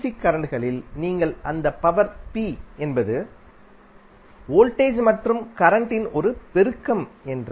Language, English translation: Tamil, So, with this you can simply calculate the value of p as a multiplication of voltage and current